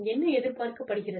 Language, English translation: Tamil, We tell them, what is expected